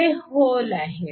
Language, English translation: Marathi, These are the holes